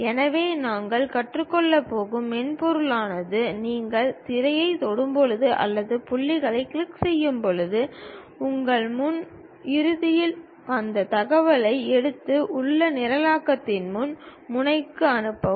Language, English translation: Tamil, So, the softwares what we are going to learn is when you are going to touch the screen or perhaps click the point, your front end takes that information and send it to your back end of that programming